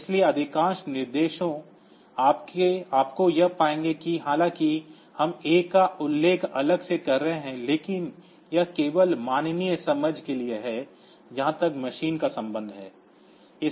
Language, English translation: Hindi, So, most of the instruction you will find that though we are mentioning A separately, but that is only for human understanding as far as the machine is concerned